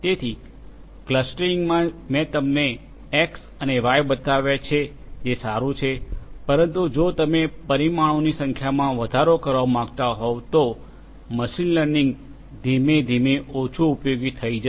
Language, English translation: Gujarati, So, clustering I have shown you x and y that is fine, but if you want to increase the number of dimensions then machine learning will gradually become less useful